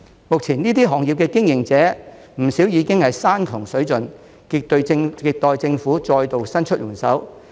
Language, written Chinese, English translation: Cantonese, 目前這些行業的經營者不少已經山窮水盡，亟待政府再度伸出援手。, Many operators in these industries are now at the end of their resources and are in desperate need of another round of government assistance